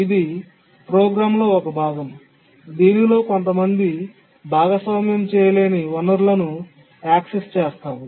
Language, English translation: Telugu, It's a part of the program in which some shared non preemptible resource is accessed